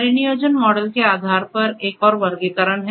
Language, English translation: Hindi, There is another classification based on the deployment model right